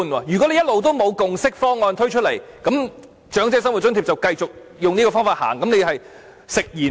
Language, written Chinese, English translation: Cantonese, 如果一直也不推出共識方案，那麼長者生活津貼便會繼續沿用這個方法，那你便是食言了。, If no consensus proposal is ever floated the approach adopted in relation to OALA will continue to be followed . In that case you will have gone back on your words